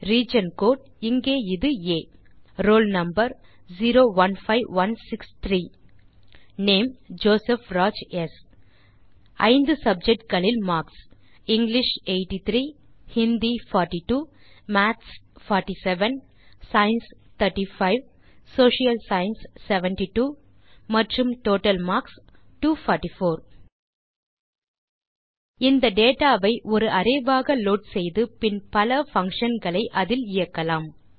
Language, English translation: Tamil, * Region Code which is A * Roll Number 015163 * Name JOSEPH RAJ S * Marks of 5 subjects: ** English 083 ** Hindi 042 ** Maths 47 ** Science 35 **Social Science 72 and Total marks 244 Lets load this data as an array and then run various functions on it